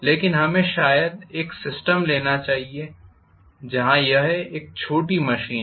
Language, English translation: Hindi, But let us probably take a system where it is a miniaturized machine